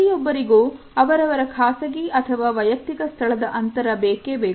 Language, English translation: Kannada, Everyone needs their own personal space